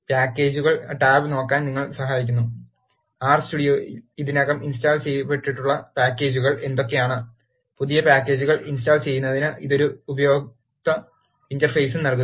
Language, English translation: Malayalam, And the Packages tab helps you to look, what are the packages that are already installed in the R Studio and it also gives an user interface, to install new packages